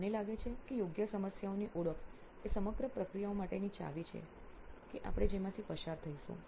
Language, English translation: Gujarati, I think identification of the right problem is the key for the entire process what we will be going through